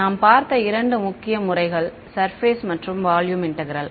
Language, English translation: Tamil, Two main methods that we have seen are surface and volume integrals